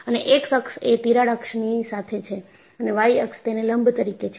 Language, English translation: Gujarati, And, the x axis is along the crack axis and y axis is perpendicular to that